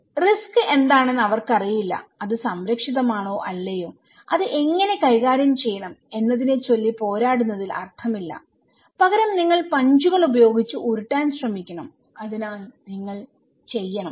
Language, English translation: Malayalam, So, they don’t know what is the risk okay, it is protected or not so, there is no point in fighting over how to manage it instead you should just try to roll with the punches so, you should go on